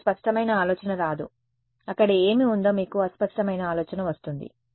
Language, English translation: Telugu, You will well, you will not get a clear idea you will get a fuzzy idea what is there